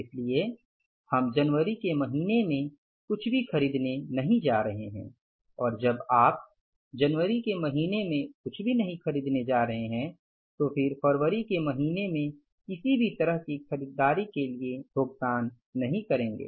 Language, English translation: Hindi, So we are not going to purchase anything in the month of January and when you are not going to purchase anything in the month of January you are not going to pay for any kind of purchases in the month of February